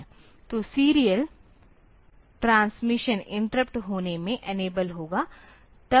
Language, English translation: Hindi, So, it will be enabling the serial transmission interrupt